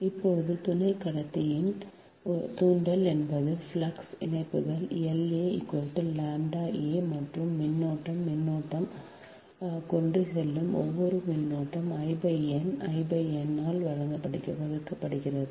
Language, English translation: Tamil, so now, therefore, inductance of sub conductor a is that flux linkages l, a is equal to lambda a, and each that current is conductor is carrying current i upon n divided by i upon n